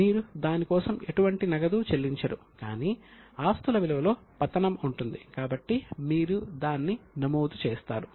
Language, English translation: Telugu, You don't pay any cash for it but there is a fall in the value of asset so you record it